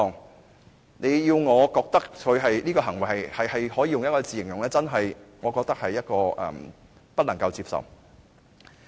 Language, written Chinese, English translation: Cantonese, 如果你要我用一個詞語來形容他的行為，我認為是真的不能接受。, If you ask me to use a word to describe his act I would say it was really unacceptable